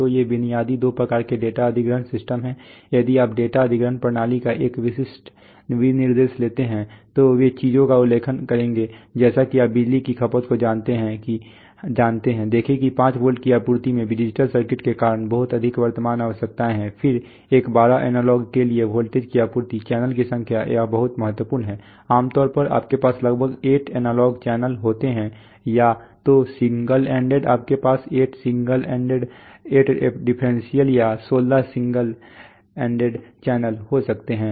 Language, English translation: Hindi, So these are the basic two types of data acquisition systems, if you take a typical specification of a data acquisition system, they will mention things like you know power consumption see 5 volt supply has lot of current requirements because of the digital circuits then a 12 volt supply for analog, the number of channels, this is very important typically you have about 8 analog channels either single ended you can have 8 single ended, 8differential or 16 single ended channels